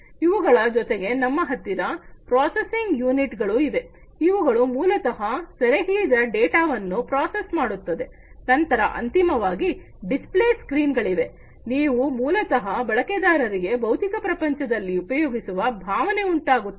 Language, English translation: Kannada, Then we have the processing units, these processing units, which basically will process the data that is captured, then we have finally, the display screens, these are very important components, the display screens, which basically give the user the feeling of being used in the physical world